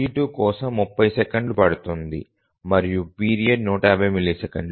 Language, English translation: Telugu, T2 takes 30 milliseconds and 150 milliseconds is the period